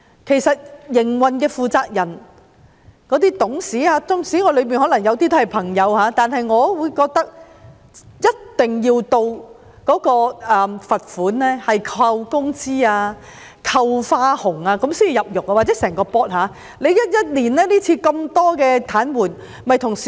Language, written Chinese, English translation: Cantonese, 其實營運的負責人及董事，縱使當中有些是我的朋友，但我也認為，整個董事局一定要受到扣減工資、扣減花紅等罰款處分，才能夠感到切膚之痛。, To be honest even though some of those in charge of the operation and the directors are my friends I hold that the whole Board of Directors should definitely be subject to sanctions such as deduction of their wages and bonuses before they can feel the pain themselves